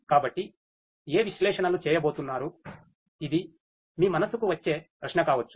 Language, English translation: Telugu, So, which analytics are going to be done this might be a question that might come to your mind